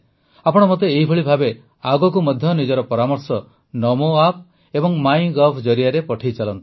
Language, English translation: Odia, Similarly, keep sending me your suggestions in future also through Namo App and MyGov